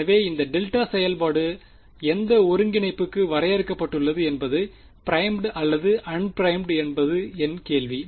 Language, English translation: Tamil, So, the question is in for which coordinates is this delta function defined primed or un primed